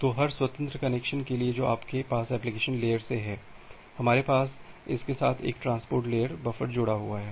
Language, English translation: Hindi, So, for every independent connection that you have from the application layer, we have one transport layer buffer associated with it